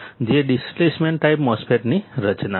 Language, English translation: Gujarati, This is for Depletion type MOSFET